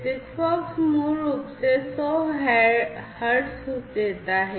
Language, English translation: Hindi, And whereas, SIGFOX basically gives 100 hertz